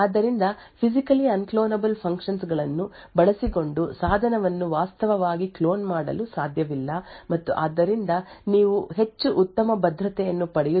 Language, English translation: Kannada, So, using Physically Unclonable Functions, it is not possible to actually clone a device and therefore, you get much better security